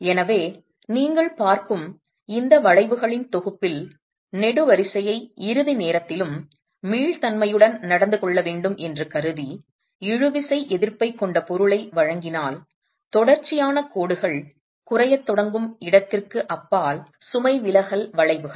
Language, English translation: Tamil, So, in this set of curves that you see, if we were to consider the column to behave in an elastic manner even at ultimate and provide it with, provide the material with tensile resistance, then the load deflection curves beyond the point where the continuous lines start reducing